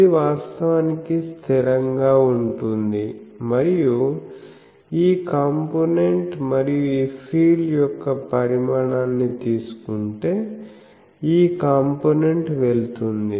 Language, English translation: Telugu, This is actually constant and this part if I take the magnitude of this field, this part goes